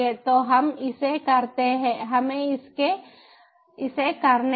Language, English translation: Hindi, so lets do it